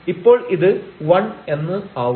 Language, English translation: Malayalam, So, this will be as 1